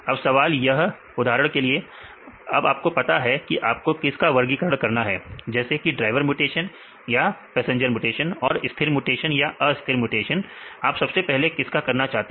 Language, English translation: Hindi, So, now the question is for example, you have identified your problem you want to classify for example, driver mutation passenger mutation and the stabilizing mutants and destabilizing mutants, what you have to do first